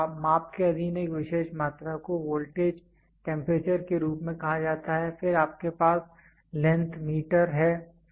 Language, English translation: Hindi, So, a particular quantity subjected to measurement is called as voltage, temperature then you have length meter